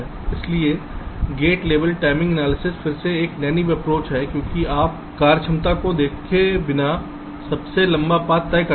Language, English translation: Hindi, so gate level timing analysis is again a naīve approach because you determine with an longest path without looking at the functionality